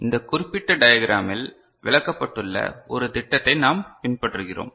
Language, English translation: Tamil, We follow a scheme which is illustrated in this particular diagram